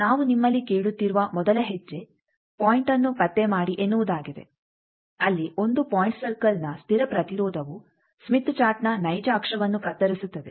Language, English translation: Kannada, So, the first step we are asking you that locate the point where, constant resistance of 1 point circle cuts real axis of Smith Chart